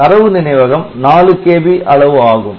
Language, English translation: Tamil, So, even this memory is 4 kilobyte memory